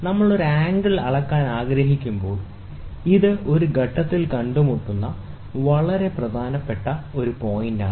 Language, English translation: Malayalam, So, when we want to measure an angle, this is a very very important point which meets at a point